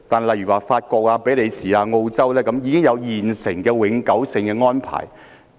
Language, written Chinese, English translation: Cantonese, 例如法國、比利時、澳洲等已跟中國訂立永久性的引渡安排。, For example countries like France Belgium Australia have formulated permanent extradition arrangements with China